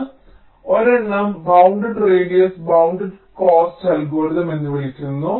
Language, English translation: Malayalam, so one is called the bounded radius bounded cost algorithm